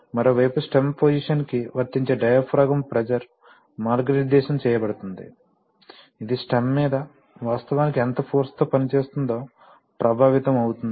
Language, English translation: Telugu, On the other hand, the diaphragm pressure applied to stem position is guided, is essentially affected by how much force is actually acting on the, on the stem